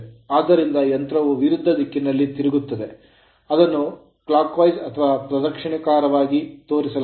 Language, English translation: Kannada, So, machine will rotate in the opposite direction here, it is shown the in the clockwise direction